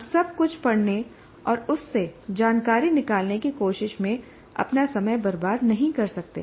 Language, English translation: Hindi, So you cannot waste your time in trying to read everything and distill information from that